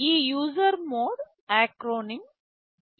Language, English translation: Telugu, This user mode acronym is usr